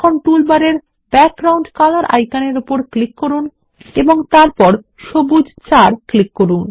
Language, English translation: Bengali, Now click on the Background Color icon in the toolbar and then click on Green 4